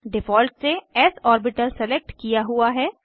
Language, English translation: Hindi, By default, s orbital is selected